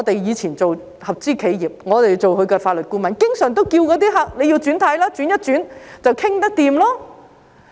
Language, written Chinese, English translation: Cantonese, 以前我們擔任合資企業的法律顧問，經常勸諭客人要"轉軚"，轉變一下便能有共識。, I think business people often In the past when we worked as legal advisors to joint ventures we often encouraged our clients to change their mind . A change of mind would bring about consensus